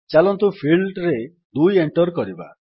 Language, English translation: Odia, Let us enter the value 2 in the field